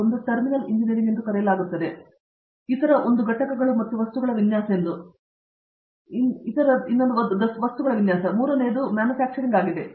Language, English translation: Kannada, One is the so called Terminal Engineering and the other one is the so called Design of components and other things, and the third one is the Manufacturing